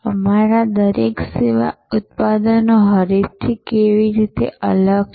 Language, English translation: Gujarati, How each of our service products differs from the competitor